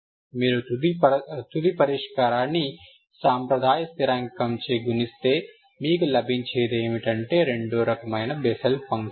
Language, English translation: Telugu, Conventional constant if you multiply final solution, what you get is Bessel function of second kind, Ok